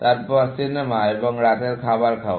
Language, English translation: Bengali, movie, and then, eating on dinner